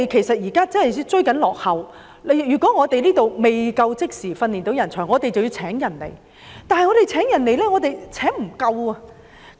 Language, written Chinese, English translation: Cantonese, 香港真的很落後，如果我們未能即時培訓人才，便要聘請人才，但我們又無法聘得足夠人手。, Hong Kong is really lagging behind others . If we cannot train our own talents immediately we have to recruit talents yet we fail to recruit adequate manpower